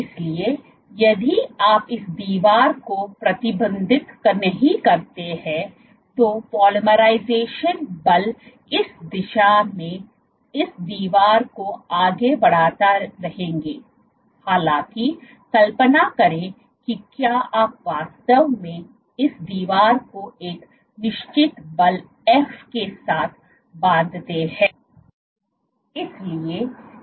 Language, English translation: Hindi, So, if you do not restrict this wall the polymerization forces will keep on pushing this wall in this direction; however, imagine if you actually constrain this wall with a certain force f